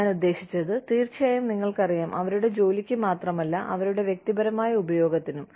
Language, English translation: Malayalam, I mean, of course, you know, if the, not only for their job, but for their personal use